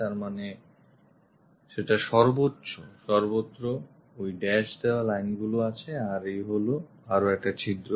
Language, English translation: Bengali, So, that clearly indicates that we have dashed lines throughout that, this is another hole